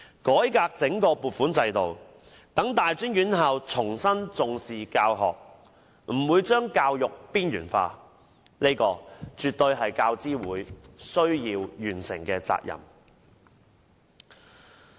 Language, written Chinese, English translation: Cantonese, 改革整個撥款制度，讓大專院校重新重視教學，不把教育邊緣化，這絕對是教資會需要完成的責任。, To reform the whole funding system to put teaching back into the focus of tertiary institutions and not to marginalize education are responsibilities that UGC should discharge